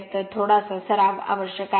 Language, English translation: Marathi, So, little bit practice is necessary